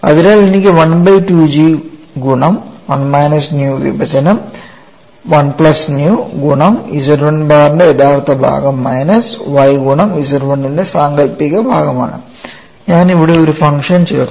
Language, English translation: Malayalam, So, I have u equal to 1 by 2 G multiplied by 1 minus nu divided by 1 plus nu real part of Z 1 bar minus y imaginary part of Z 1 and I have added a function here; this is what we have to keep in mind, we have expression dou u by dou x